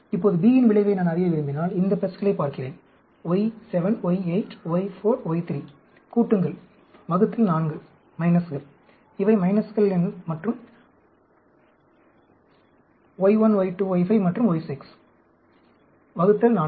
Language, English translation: Tamil, Now, if I want to know effect of B, I look at these pluses, y7, y8, y4, y 3; add up, divide by 4, minus; minuses are y1, y2, y5 and y6; divide by 4